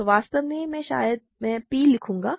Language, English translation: Hindi, So, actually maybe I will write p